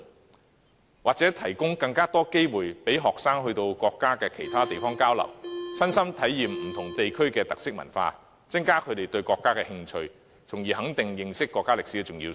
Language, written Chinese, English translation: Cantonese, 我們也要提供更多機會，讓學生到國家其他地方交流，親身體驗不同地區的特色文化，增加他們對國家的興趣，從而肯定認識國家歷史的重要性。, We also have to provide more opportunities for students to visit other places in our country and exchange views with the local people . In so doing they can personally experience the unique cultures of different places and increase their interest in the country thereby affirming the importance of learning the history of the country